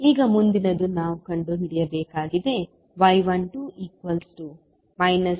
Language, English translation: Kannada, Now, next task is to find out the value of y 12 and y 22